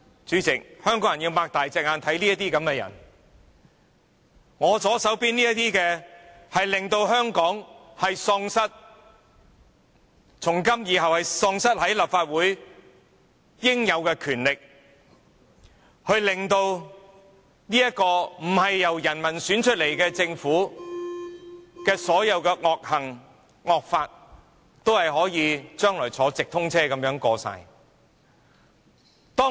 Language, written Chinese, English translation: Cantonese, 主席，香港人要睜大眼睛看清楚這些人，是我左手邊這些人，令立法會從今以後喪失其應有權力，讓不是由人民選出來的政府作出的所有惡行、惡法，今後可以像直通車一般全部獲得通過。, President Hong Kong people must keep their eyes wide open to see the true face of these people clearly . It is the people on my left hand side who deprive the Legislative Council from this day onwards of the powers it should have so that all evil deeds done and all draconian laws enacted by the Government which is not elected by the people will be endorsed smoothly like a through train